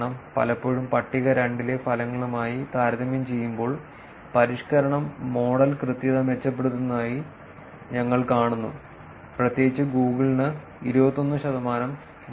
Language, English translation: Malayalam, Often comparing the results with those in table 2, we see that the refinement improves model accuracy particularly for Google plus where the gain is about 21 percent